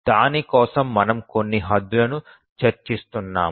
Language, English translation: Telugu, For that we were discussing some bounds